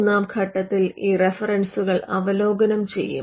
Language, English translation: Malayalam, Now the third step involves reviewing these references